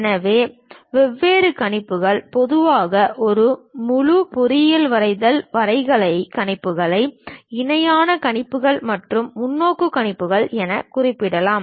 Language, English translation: Tamil, So, the different projections, typically the entire engineering drawing graphical projections can be mentioned as parallel projections and perspective projections